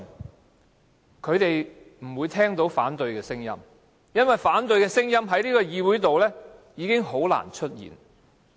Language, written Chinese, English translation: Cantonese, 但是，他們不會聽到反對的聲音，因為反對的聲音已經很難在這個議會出現。, But in that case they will never hear any opposition voices because such voices will become very rare in the legislature